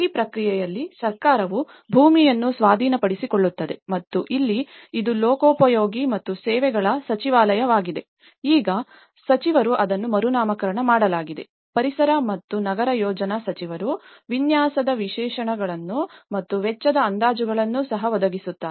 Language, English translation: Kannada, In this process, the government acquires land and here it is Ministry of Public Works and Services also, the minister now, it has been renamed; Minister of Environment and Urban Planning also provides design specifications and also the cost estimations